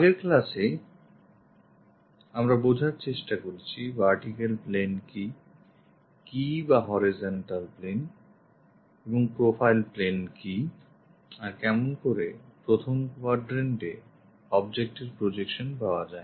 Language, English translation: Bengali, In the last classes, we try to have feeling for what is a vertical plane, what is horizontal plane and what is profile plane and how an object in first quadrant gives the projections and how an object in third quadrant gives the projections we have seen